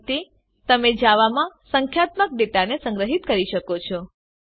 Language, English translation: Gujarati, This is how you store numerical data in Java